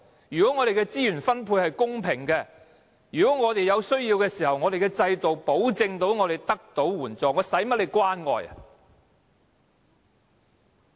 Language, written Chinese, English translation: Cantonese, 如果我們的資源分配是公平的，如果我們有需要的時候，制度可保證我們得到援助，我們幹嗎要官員關愛？, If our resources are fairly distributed and if we are guaranteed assistance under the system when we are in need why do we need the love and care of government officials?